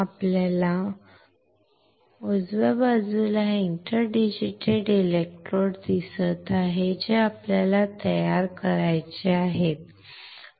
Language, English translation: Marathi, You see on the right side, this interdigital electrode that we had to fabricate right